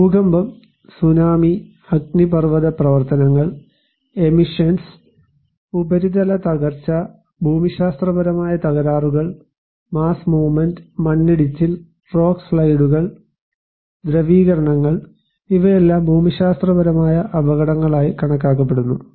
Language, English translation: Malayalam, They are like earthquake, tsunami, volcanic activity, emissions, surface collapse, geological fault activity, mass movement, landslide, rock slides, liquefactions, all are considered to be geological hazards